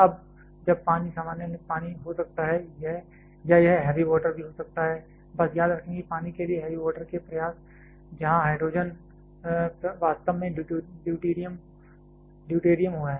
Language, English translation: Hindi, Now that water can be the normal water, or it can be heavy water also just remember that heavy water efforts to the water where hydrogen is actually deuterium